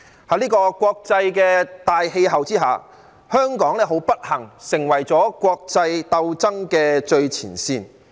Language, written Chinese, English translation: Cantonese, 在這個國際大氣候之下，香港很不幸成為了國際鬥爭的最前線。, Under such an international atmosphere Hong Kong has unfortunately become the front line of international conflicts